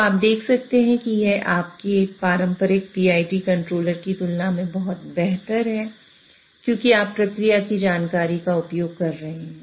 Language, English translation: Hindi, So you can see that this is much better than your traditional PID controller simply because you are using the process information